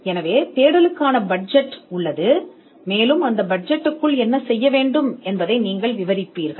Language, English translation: Tamil, So, there is a budget for the search, and you will describe within that budget what needs to be done